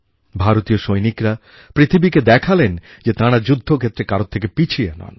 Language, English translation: Bengali, Indian soldiers showed it to the world that they are second to none if it comes to war